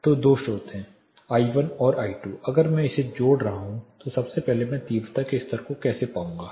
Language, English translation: Hindi, So, there are two sources; I one and I two, if I am adding it so first how will I find the total intensity levels